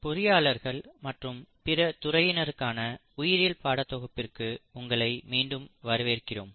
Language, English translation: Tamil, So welcome back to these series of lectures on biology for engineers and non biologists